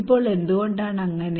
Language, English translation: Malayalam, Now why it is so